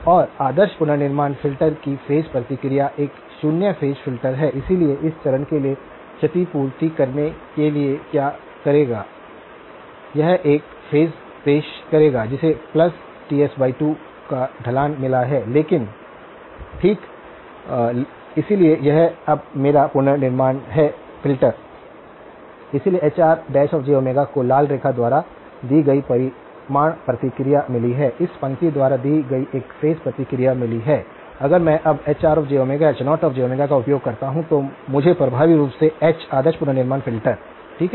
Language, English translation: Hindi, And the phase response of the ideal reconstruction filter is a zero phase filter, so what it will do is to compensate for the phase, it will introduce a phase that has got a slope of plus Ts divided by 2 okay, so this is now my reconstruction filter, so the Hr dash of j Omega has got a magnitude response given by the red line has got a phase response given by this line, if I now cascade Hr of j Omega with H naught of j Omega what I will get is effectively H of the ideal reconstruction filter okay